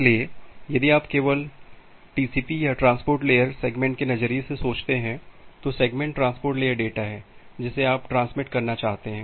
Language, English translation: Hindi, So, if you just think about TCP or transport layer segment point of view, so segment is the transport layer data that you want to transmit